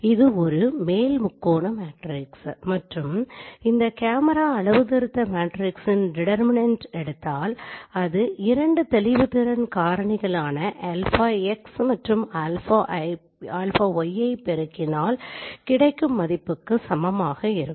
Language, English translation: Tamil, It is an upper triangular matrix and if I take the determinant of this camera calibration matrix, this is, this should be the product of those two resolution factors